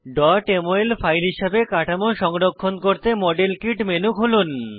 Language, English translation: Bengali, To save this structure as a .mol file, open the Modelkit menu